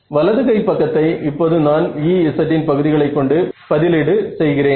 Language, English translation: Tamil, And the right hand side term I am now replacing it in terms of E z ok